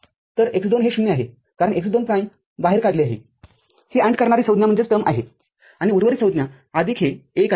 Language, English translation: Marathi, So, x2 is 0, because x2 prime has been taken out is the ANDing term, and rest of the terms remaining same plus this one